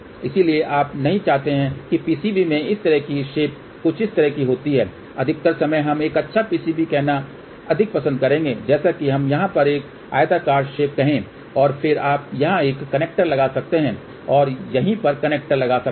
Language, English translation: Hindi, So, you do not want a PCB to have a something like this kind of a shape majority of the time let us say a nice PCB will be more like let us say a rectangular shape over here and then you can put a connecter here connector here and connector over here